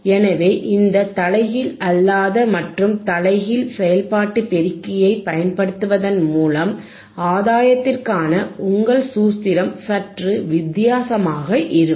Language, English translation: Tamil, So, by using this non inverting and inverting impressionoperational amplifier, your formula for gain would be slightly different